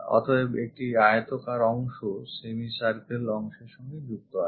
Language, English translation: Bengali, So, there is a rectangular portion connected by this semicircle portion